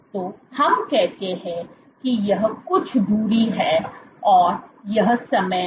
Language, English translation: Hindi, So, let us say this is some distance moved and this is time